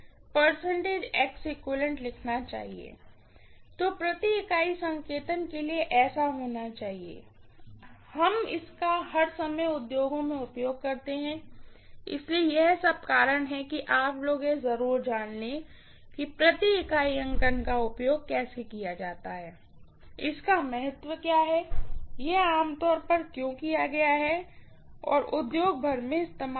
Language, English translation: Hindi, So must so for the per unit notation, we use it all the time in the industries, so that is all about reason you guys should know definitely how per unit notation is used, what is the significance of it, why it is been commonly used all over the industry, yeah